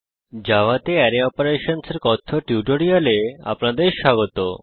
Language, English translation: Bengali, Welcome to the spoken tutorial on Array Operations in java